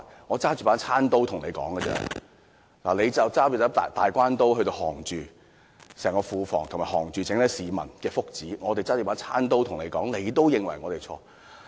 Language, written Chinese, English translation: Cantonese, 我只是拿着餐刀跟他對抗，而他卻是拿着"大關刀"，以整個庫房和整體市民的福祉作要脅，那只是我們唯一的方法，為何他們仍然認為我們有錯呢？, Our only weapon is just a table knife but the Government is holding a big sword; it has the huge Treasury and it can threaten us with the well - being of all Hong Kong people . This is our only means . Why do they still think that we are in the wrong?